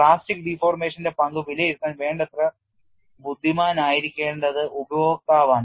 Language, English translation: Malayalam, It is a user who has to be intelligent enough to assess the role of plastic deformation